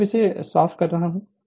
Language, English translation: Hindi, So, I am now cleaning it